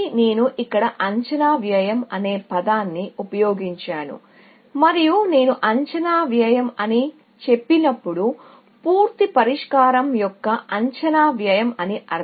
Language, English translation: Telugu, I used a term estimated cost here, and when I say estimated cost, I mean the estimated cost of the full solution; not the partial solution